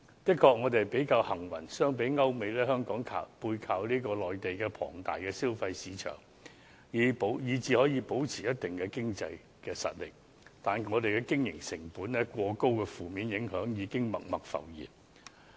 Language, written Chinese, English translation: Cantonese, 香港的確比較幸運，相比歐美，香港背靠內地龐大的消費市場，以致可以保持一定的經濟實力，但經營成本過高的負面影響已經默默浮現。, Hong Kong is indeed luckier than Europe and America as we can leverage the enormous consumer market in the Mainland and this has enabled us to maintain certain economic strengths . However the negative impacts of excessively high operating costs have already surfaced unnoticeably